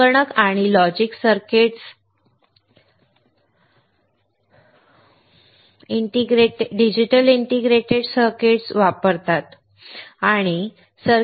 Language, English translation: Marathi, Computer and logic circuits uses digital integrated circuits